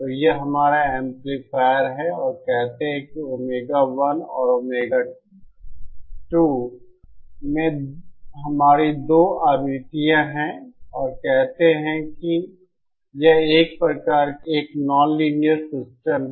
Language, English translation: Hindi, So this is our amplifier and say we have 2 frequencies at omega 1 and omega 2 and say this has some kind of, if this is a non linear system